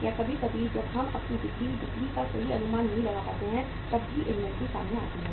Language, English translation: Hindi, Or sometime when we are not able to forecast our sale, sales uh properly then also the inventory comes up